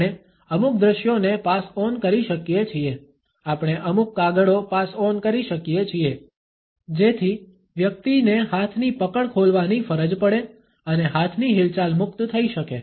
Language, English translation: Gujarati, We can pass on certain visuals we can pass on certain papers so, that the person is forced to open the hand grip and the hand movements can be freer